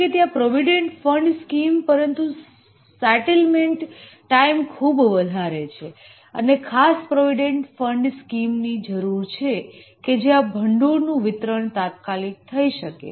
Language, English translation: Gujarati, Though there is a provident fund scheme, but the settlement time is very high and there is a need for a special provident fund scheme where the fund can be disbursed immediately